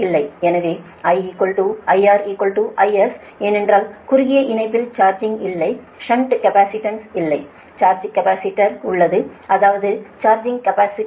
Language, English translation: Tamil, so i is equal to i, r is equal to i s, because short line as no row shunt capacitance, there there is a charging capacitor such that i mean that is that charging capacitance